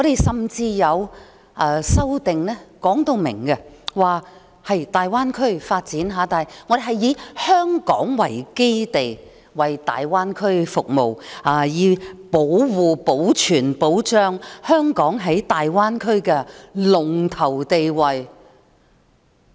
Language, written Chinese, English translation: Cantonese, 甚至有修正案明確提出，以香港作為基地服務大灣區，以維持香港在大灣區的龍頭地位。, There is even an amendment expressly proposing to base in Hong Kong and serve the Greater Bay Area so as to maintain Hong Kongs leading position in the Greater Bay Area